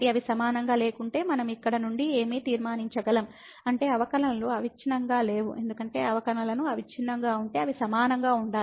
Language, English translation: Telugu, So, what we can conclude from here, if they are not equal, if they are not equal; that means, the derivatives were not continuous because if the derivatives were continuous then they has to be equal